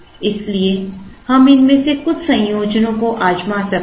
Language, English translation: Hindi, So, we could try some of these combinations